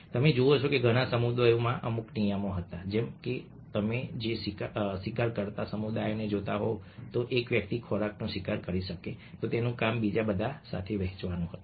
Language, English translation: Gujarati, you see that in many communities there were certain rules like: if somebody, if you are looking at the hunting communities, if one person managed to hunt food, then his job was to shared with everybody else